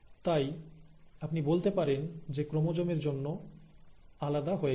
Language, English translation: Bengali, So you can say that ‘A’ for chromosomes moving 'apart'